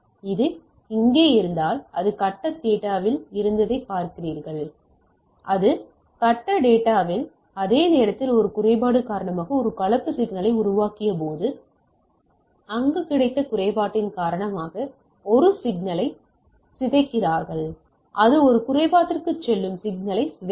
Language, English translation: Tamil, So, it if it is a here you see it was in phase data like this is same time in phase data when we made a composite signal due to impairment it receive there you decompose the signal it goes for a impairment like there is a shift here with respect to this